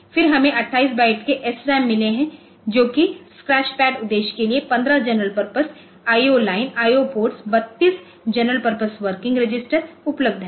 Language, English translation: Hindi, Then we have got one 28 bytes of SRAM that is for the scratchpad purpose 15 general purpose I O line basically, that I O ports then 32 general purpose working registers